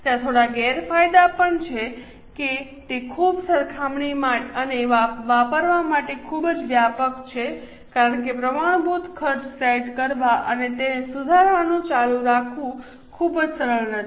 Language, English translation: Gujarati, There are a few disadvantages also that it is too cumbersome and too much comprehensive to use because it is not very easy to set up the standard cost and keep on revising it